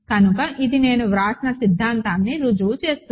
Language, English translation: Telugu, So, this proves the theorem that I wrote